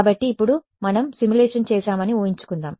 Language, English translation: Telugu, So, now, let us imagine we have done the simulation